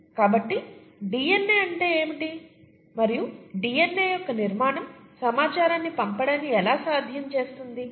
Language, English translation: Telugu, So how is, what is DNA and how , how does the structure of the DNA make it possible for information to be passed on, okay